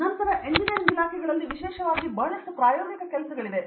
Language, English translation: Kannada, The in any other engineering discipline I mean especially there is a lot of experimental work